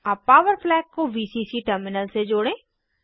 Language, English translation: Hindi, We will place the Power flag near Vcc terminal